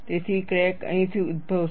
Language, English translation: Gujarati, So, crack will originate from here